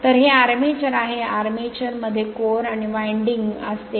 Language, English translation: Marathi, So, next is the armature, the armature consists of core and winding